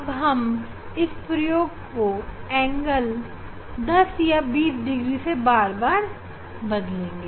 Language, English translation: Hindi, 2 Now, I will change the angle; I will change the angle by 10 or 20 degree it is at 25